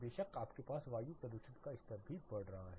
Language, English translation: Hindi, Of course, you also have the air pollution levels going up